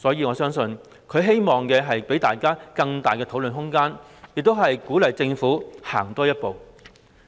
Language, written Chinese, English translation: Cantonese, 我相信他也希望給予大家更大討論空間，並鼓勵政府多走一步。, I believe that it is also Mr CHANs hope to leave more room for public discussion and encourage the Government to take one step further